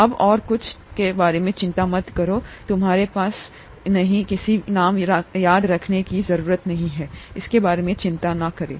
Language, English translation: Hindi, DonÕt worry about anything else for now, you donÕt have to remember any names, donÕt worry about it